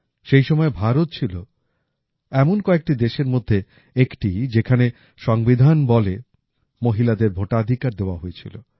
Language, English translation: Bengali, During that period, India was one of the countries whose Constitution enabled Voting Rights to women